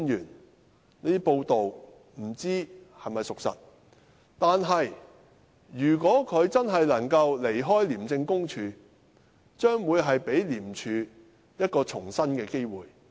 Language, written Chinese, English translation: Cantonese, 我不知道這些報道是否屬實，但如果他確實能夠離開廉署，將可給予廉署一個重生的機會。, I do not know if these reports are true but if he can really leave ICAC ICAC will be given a chance to turn a new leaf